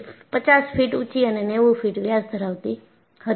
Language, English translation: Gujarati, It was 50 feet tall and 90 feet in diameter